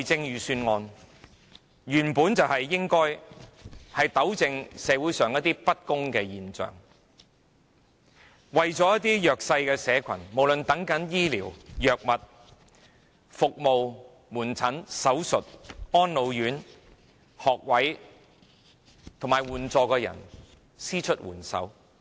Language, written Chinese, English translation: Cantonese, 預算案原本就是應該糾正社會上一些不公的現象，為了一些弱勢社群，無論是等候醫療、藥物、門診服務、手術、安老院、學位和援助的人伸出援手。, The Budget is meant to rectify any unfair phenomena in society and give assistance to some disadvantaged social groups no matter they are waiting for medical services medication outpatient services medical operation places in residential care homes for the elderly university places or other support